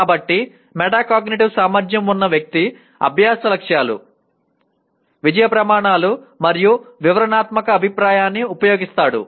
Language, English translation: Telugu, So that is what a person with metacognitive ability will use learning goals, success criteria, and descriptive feedback